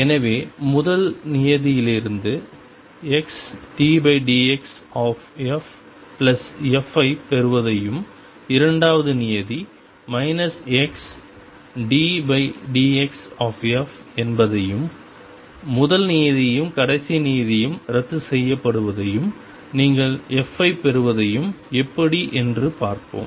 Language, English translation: Tamil, So, how do we see that from the first term we get x d f by d x plus f and second term is minus x d f by d x and the first term and the last term cancel and you get f